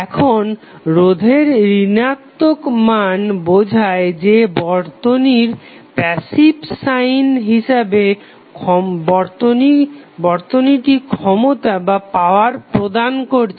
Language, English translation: Bengali, Now, the negative value of resistance will tell us that according to the passive sign convention the circuit is supplying power